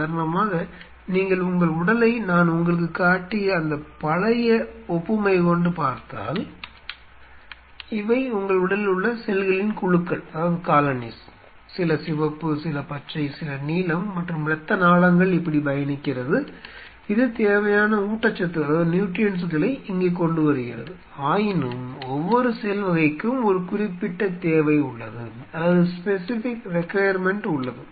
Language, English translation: Tamil, So, such thing happens, see for example, if you consider your body just that old analogy; what I gave you for example, these are colonies of cells in your body some are red some are green some are blue like this and blood vessel is traveling like this which is bringing the necessary nutrients out here, but still every cell type has a specific requirement